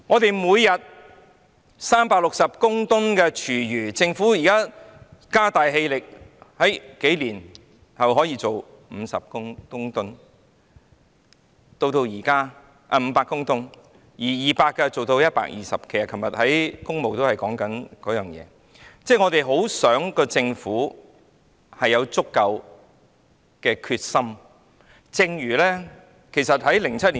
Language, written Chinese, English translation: Cantonese, 本港每天產生360公噸廚餘，政府現在加大力度，數年後便可處理500公噸，但現在200公噸卻變成120公噸，昨天我們在工務小組委員會正是討論這件事。, In Hong Kong we are generating 360 tonnes of food waste every day . If the Government steps up its effort it can process 500 tonnes of food waste a few years later . But now the treatment capacity is reduced from 200 tonnes to 120 tonnes